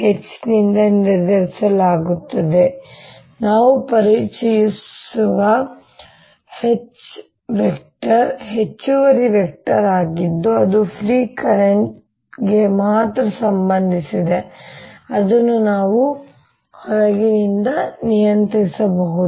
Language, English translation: Kannada, h is an additional vector which we are introducing that is related only to free current, which we can control from outside